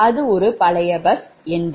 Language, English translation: Tamil, it is an old bus bar